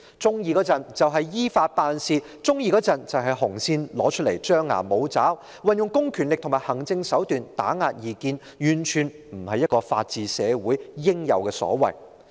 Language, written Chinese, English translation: Cantonese, 當局一時說要"依法辦事"，一時又拿出"紅線"來張牙舞爪，運用公權力和行政手段來打壓異見，這完全不是一個法治社會應有的所為。, At one time the authorities claim that it has to act according to the law yet at another time it imposes these red lines as an act of intimidation using public powers and administrative measures to suppress dissidents . In no circumstances should these actions be taken in a society upholding the rule of law